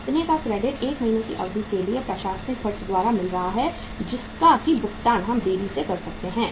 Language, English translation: Hindi, This much of the credit will come for a period of 1 month from the outstanding administrative expenses which we can delay the payment